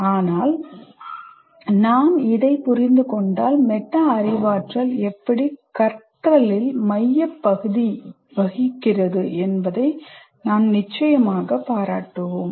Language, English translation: Tamil, But once we understand that, we will be able to appreciate the central role that metacognitive learning plays